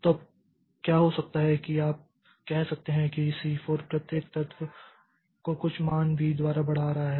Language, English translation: Hindi, So, now what can happen is that you can say, say C4 is doing some say incrementing each element by some value so some value V so it is incrementing